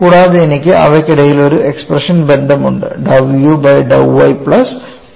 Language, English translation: Malayalam, So, I will have to evaluate one half of dou u by dou y plus dou v by dou x